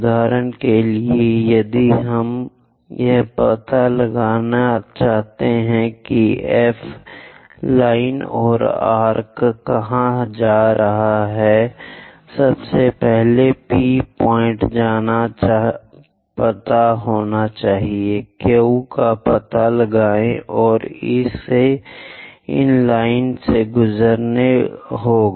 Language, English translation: Hindi, So, for example, if I want to figure it out where this F line or arc might be going; first of all P point is known, locate Q, and it has to pass through these lines